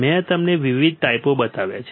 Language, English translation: Gujarati, I have shown you the different types